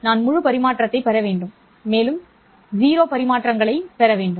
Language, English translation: Tamil, I need to get full transmission and I need to get zero transmission